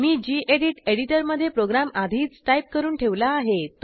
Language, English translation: Marathi, I have already typed this program in the gedit editor, let me open it